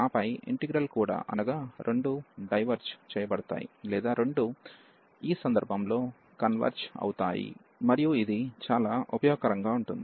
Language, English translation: Telugu, And then there integral will also either both will diverge or both will converge in this case, and this is very useful